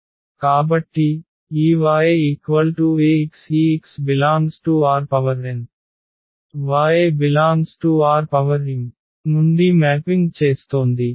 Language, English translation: Telugu, So, this Ax is mapping from this x which is from R n to y which is from R n R m